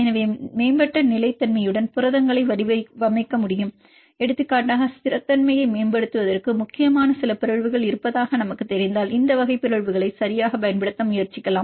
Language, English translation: Tamil, So, we can design the proteins with enhanced stability for example, if we know there is some mutations which are important to enhance the stability then try to utilize these type of mutations right